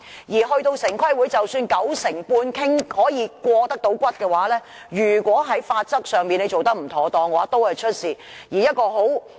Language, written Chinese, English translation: Cantonese, 而到了城規會，即使九成半可以過關，如果在法則上做得不妥當，都會出問題。, Even when the proposal can obtain support from 95 % of members of TPB there will also be problems if the legal requirements are not properly complied with